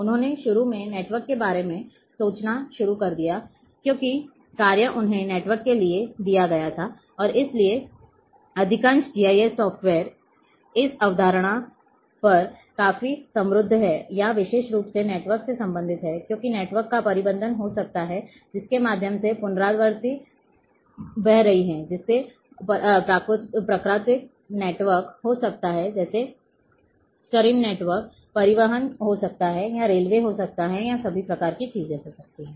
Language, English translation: Hindi, He started initially thinking about the networks, because the task was given him for the network and therefore, the most of the GIS softwares are quite rich on this in these concept or especially about the network related because there might be management of a network through which the recourses are flowing may be natural network like stream network may be transport or may be railways or all kinds of things are there